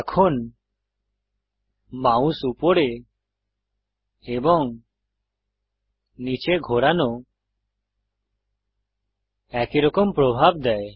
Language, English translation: Bengali, Now moving the mouse up and down gives the same effect